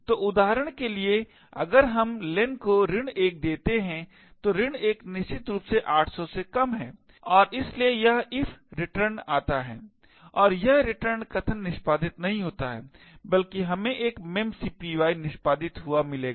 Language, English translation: Hindi, So for example if we give len to be minus 1, minus 1 is definitely less than 800 and therefore this if returns falls and this return statement is not executed but rather we would have a memcpy getting executed